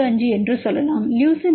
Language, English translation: Tamil, 85, leucine is equal to 15